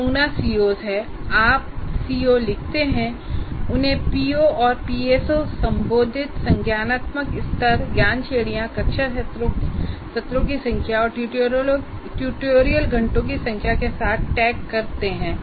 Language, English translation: Hindi, So you write the C O and then the P O's and PSOs addressed and then cognitive level, knowledge categories and class sessions and number of tutorial hours